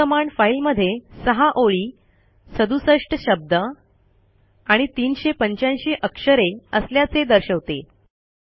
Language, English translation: Marathi, The command points out that the file has 6 lines, 67 words and 385 characters